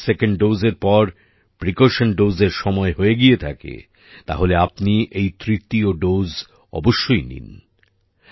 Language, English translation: Bengali, If it is time for a precaution dose after your second dose, then you must take this third dose